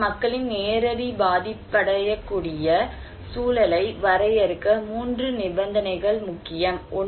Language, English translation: Tamil, So, 3 conditions are important to define people's direct vulnerable context